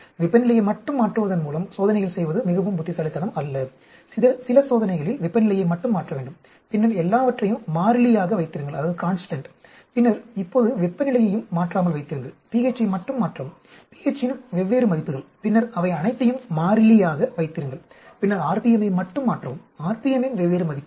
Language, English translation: Tamil, It is not very intelligent just to do experiments by changing temperature alone, few experiment changing temperature alone, then keep everything constant, then now keep temperature also constant, change pH alone, different values of pH, then keep all of them constant, then change rpm alone, different values of rpm